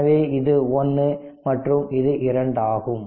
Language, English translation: Tamil, So, this is 1 this is 2